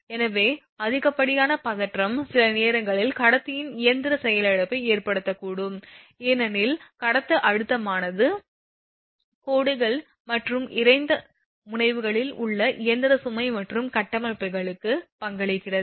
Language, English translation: Tamil, So excessive tension sometimes may cause mechanical failure of the conductor itself, because conductor tension contributes to the mechanical load and structures at the angles in the line and at dead ends